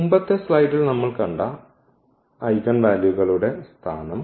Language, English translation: Malayalam, The location of the eigenvalues now what we have just seen in previous slide